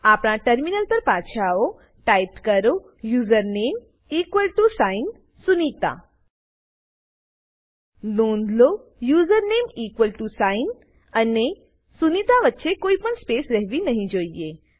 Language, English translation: Gujarati, Switch back to our terminal Type username equal to sign sunita Please note that there should not be any blank space between username, equal to sign and sunita